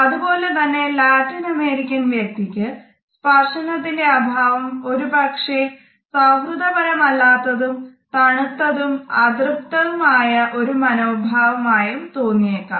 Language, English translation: Malayalam, Similarly the Latin American friend may feel the absence of touch by the British as somewhat cold or unfriendly or unconcerned or an example of a smug attitude